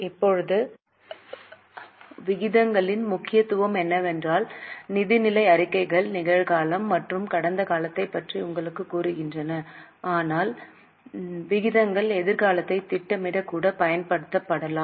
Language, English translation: Tamil, Now the importance of ratios is that the financial statements tell you about the present and the past but the ratios can be used even to project the future